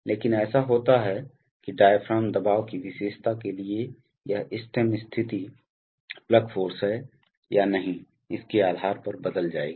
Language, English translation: Hindi, But it so happens that this stem position to diaphragm pressure characteristic will change depending on whether there is plug force or not